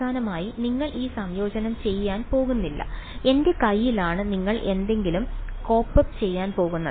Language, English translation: Malayalam, It is finally, you are not going to do this integration is in my hand you are going to code up something right